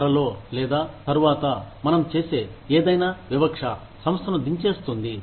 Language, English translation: Telugu, Soon or later, any discrimination, that we indulge in, will bring the organization, down